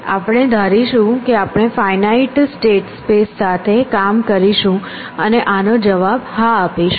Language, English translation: Gujarati, We will assume that we have working with finite state spaces and will answer yes to this